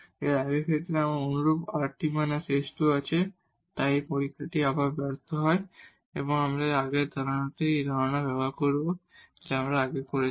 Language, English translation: Bengali, And similar to the previous case we have rt minus s square, so this test fails again and we will use the same idea a similar idea what we have done before